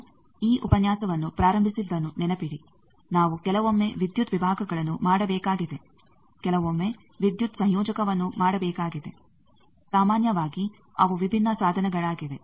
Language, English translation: Kannada, Remember what we started this lecture with that we need to sometimes make power divisions sometimes make power combiner, generally they are different device